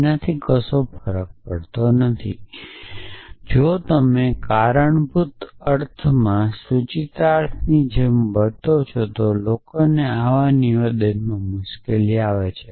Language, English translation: Gujarati, It does not matter and if you treat implication as implies in the causal sense then people have difficulty with such statement